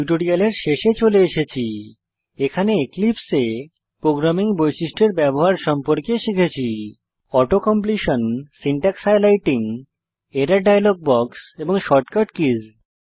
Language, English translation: Bengali, In this tutorial, we have learnt how to use programming features of Eclipse such as Auto completion, Syntax highlighting, Error dialog box, and Shortcut keys